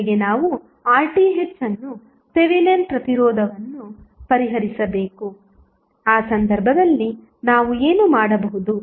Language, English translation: Kannada, First, we have to solve for R Th that is Thevenin resistance, in that case what we can do